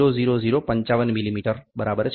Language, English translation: Gujarati, 00055 millimeter, ok